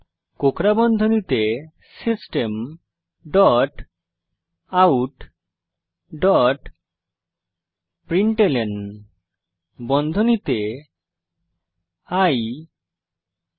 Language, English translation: Bengali, Inside the curly brackets type System dot out dot println and print i into i